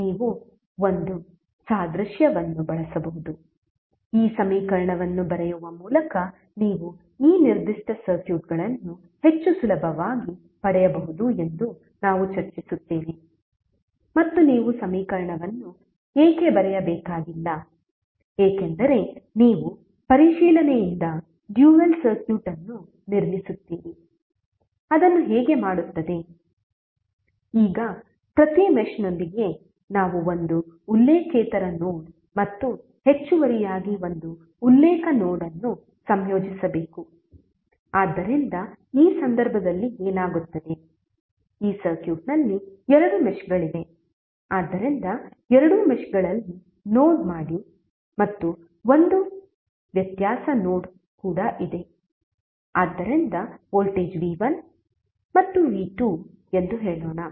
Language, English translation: Kannada, You can use one analogy which we will discuss that you can obtain this particular circuits more readily by writing the equation and you need not to write the equation why because you will construct the dual circuit by inspection, how will do that, now with each mesh we must associate one non reference node and additionally a reference node, so what will happen in this case there are two meshes which are there in this circuit, so for each mesh let us assume there is one node in both of the meshes and there is one difference node also, so let say the voltage is v1 and v2